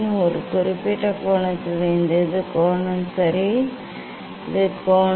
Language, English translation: Tamil, for a particular angle this is the angle ok, this is the angle